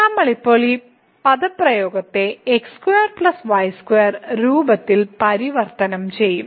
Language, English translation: Malayalam, So, we will convert now this expression in the form of the square plus square